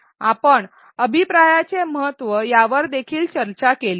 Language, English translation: Marathi, We also discussed the importance of feedback